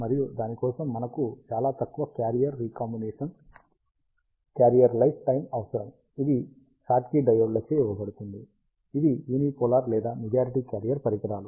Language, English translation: Telugu, And for that, we need very low carrier recombination lifetime, which is given by the Schottky diodes, which are unipolar or majority carrier devices